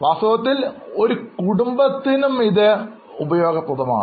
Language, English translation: Malayalam, In fact, they are also useful for households